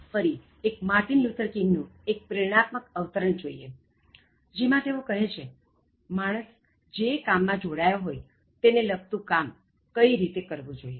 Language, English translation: Gujarati, Again, let us look at a small inspiring quotation from Martin Luther King, where he says, how a person should work in respective of the job that is involved in